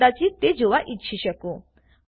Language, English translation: Gujarati, You may want to watch it